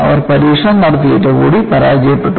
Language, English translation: Malayalam, So, they had done the test; with all that, there was failure